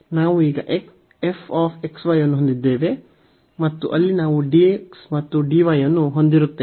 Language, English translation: Kannada, So, what we will have now the f x y and we will have dx and dy there